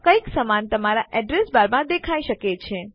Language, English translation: Gujarati, Something similar may have appeared in your address bar